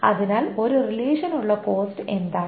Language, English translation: Malayalam, So, what is the cost for a relation